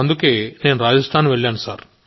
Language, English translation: Telugu, Hence I went to Rajasthan